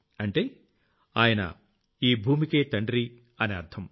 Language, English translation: Telugu, It means the father of earth